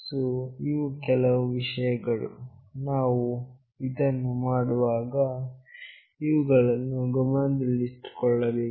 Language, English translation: Kannada, So, these are the few things, we have to take into consideration when we do this